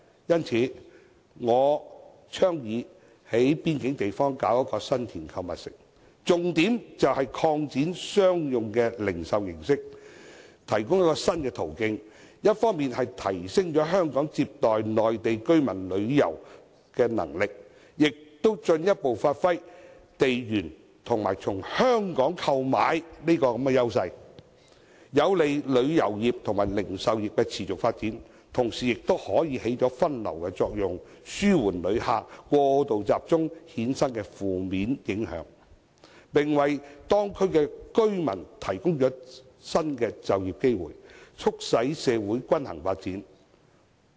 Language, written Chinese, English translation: Cantonese, 因此，我倡議在邊境地方興建新田購物城，重點是透過擴展商用零售形式，提供一個新途徑，一方面提升香港接待內地居民旅遊的能力，也進一步發揮地緣及"從香港購買"的優勢，在有利旅遊業和零售業持續發展的同時，亦可發揮分流作用，紓緩因內地旅客過度集中而衍生的負面影響，並為當區居民提供新的就業機會，促使社會均衡發展。, Hence I advocate the construction of the San Tin Shopping Centre at the border . Through the expansion of the retail mode a new channel is provided to enhance our capacity in receiving Mainland visitors on the one hand and giving further play to the advantages of geographical adjacency and buying from Hong Kong on the other . While the border shopping centre is conducive to the sustained development of the tourism and retail industries it also performs a diversion function to alleviate the negative impacts resulted from the over - concentration of Mainland visitors and provides new employment opportunities to local residents for promoting a balanced social development